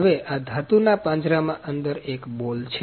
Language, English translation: Gujarati, Now this is a ball inside a metal cage